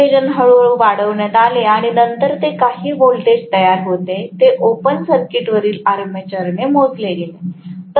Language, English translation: Marathi, The field excitation was slowly increased, and then whatever is the voltage generated was measured with the armature on open circuit